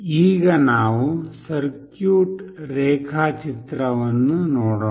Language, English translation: Kannada, Let us now look into the circuit diagram